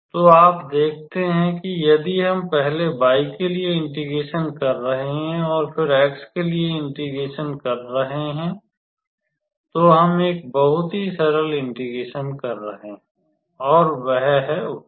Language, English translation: Hindi, So, you see if we are integrating with respect to y first and then, integrating with respect to x then we are calculating a very simple integral and that is the answer